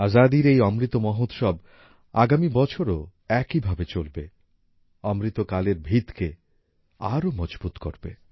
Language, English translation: Bengali, This Azadi Ka Amrit Mahotsav will continue in the same way next year as well it will further strengthen the foundation of Amrit Kaal